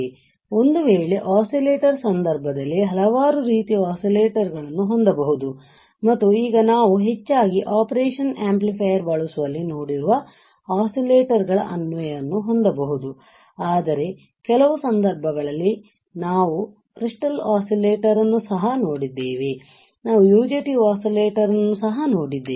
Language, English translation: Kannada, So, now, what we have seen that in case of in case of oscillators, we can have several types of oscillators and now the application of oscillators we have seen mostly in using operation amplifier, but in some cases, we have also seen a crystal oscillator, we have also seen a UJT oscillator, right